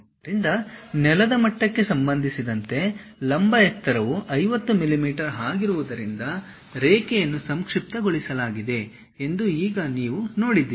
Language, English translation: Kannada, So, now you see the line is shortened because the vertical height with respect to the ground level is 50 millimeters